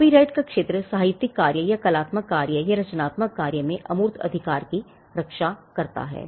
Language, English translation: Hindi, The copyright regime protects the intangible right in the literary work or artistic work or creative work